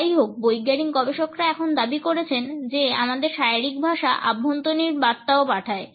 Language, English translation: Bengali, However, scientific researchers have now claimed that our body language also sends internal messages